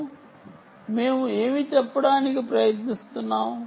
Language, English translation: Telugu, so what are we trying to say